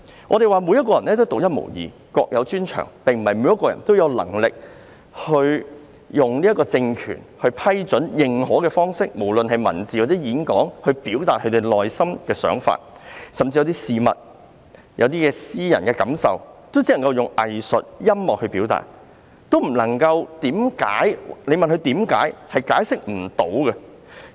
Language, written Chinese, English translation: Cantonese, 我們說，每個人都是獨一無二，各有專長，並非每一個人也有能力以政權批准或認可的方式，不論是文字或演講也好，來表達個人的內心想法；甚至是對一些事物的感覺或私人感受，也只能以藝術或音樂來表達，如果問他們為何這樣表達，可能亦解釋不到。, We say that people are unique in that they have their own talents . Not all people are able to express their inner thoughts in writing or in speeches in the way approved or recognized by the political regime . Even their impressions of things or personal feelings can only be expressed through art or music